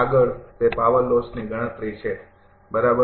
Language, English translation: Gujarati, Next is that power loss calculation, right